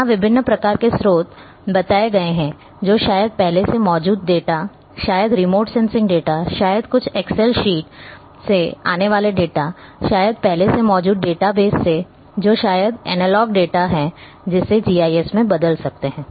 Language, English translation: Hindi, Here variety of sources as mentioned earlier that maybe the field data, maybe the remote sensing data, maybe the data coming from some excel sheets, maybe from already existing databases, which is or maybe analog data, which has to be converted onto in to GIS platform